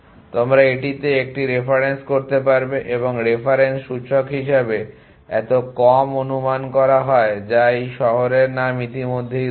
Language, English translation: Bengali, You have to a reference in this and is so less assume as the reference index simply this which is the already in this cities name